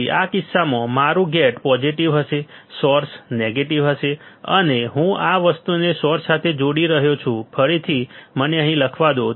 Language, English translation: Gujarati, Then in this case my gate would be positive, source would be negative and I am connecting this thing to the source, again let me just write it down here